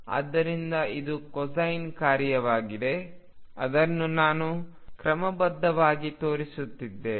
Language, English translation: Kannada, So, this is the cosine function let me just show it schematically